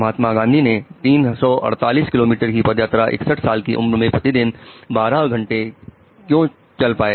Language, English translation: Hindi, Why could Mahatma Gandhi walk 348 kilometers at the age of 61, 12 hours a day